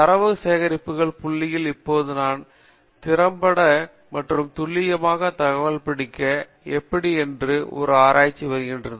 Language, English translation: Tamil, All these are data collection points and that is in now becoming an interdisciplinary research of how I effectively and efficiently and accurately I capture the data